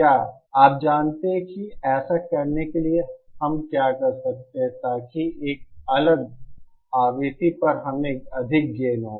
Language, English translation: Hindi, Or you know so to do this what can we do in a so we have a higher gain at a different frequency